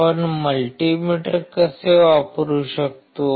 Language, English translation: Marathi, How we can use multi meter